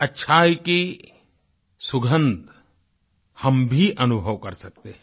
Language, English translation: Hindi, We can also smell the fragrance of righteousness